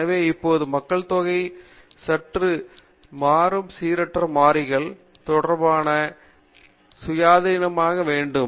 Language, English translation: Tamil, So now, you have a population and random samples, the sampled element must be independent of each other